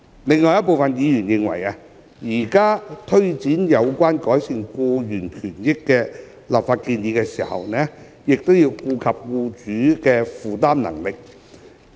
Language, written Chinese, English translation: Cantonese, 另有部分委員認為，在推展有關改善僱員權益的立法建議時，亦應顧及僱主的負擔能力。, Some other members considered that the Administration should be mindful of employers affordability in taking forward the legislative proposal to improve employees rights and benefits